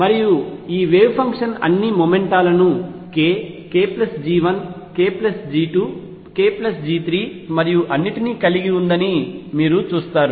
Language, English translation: Telugu, And you see this wave function carries all momenta k, k plus G 1 k plus G 2 k plus G 3 and so on